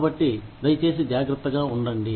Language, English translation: Telugu, So, please be careful